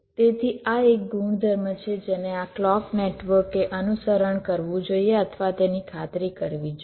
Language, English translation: Gujarati, ok, so this is one property that this clock network should follow or ensure